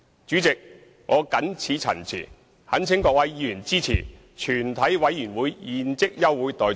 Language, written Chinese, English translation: Cantonese, 主席，我謹此陳辭，懇請各位議員支持全體委員會現即休會待續議案。, With these remarks I implore Members to support the motion that further proceedings of the committee be now adjourned